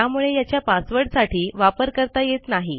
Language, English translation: Marathi, So, its not good to use it for a password